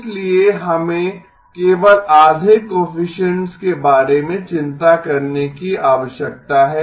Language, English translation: Hindi, So that is why we need to worry about only half the coefficients